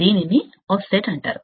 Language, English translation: Telugu, This is called the offset